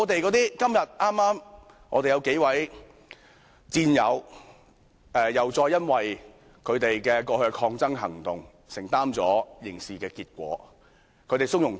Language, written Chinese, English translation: Cantonese, 然而，今天我們有數位戰友，又再因為他們過去的抗爭行動承擔了刑事後果，但他們從容面對。, However several of our comrades have to face the criminal consequences today for some protest actions they took in the past but they choose to take them in their stride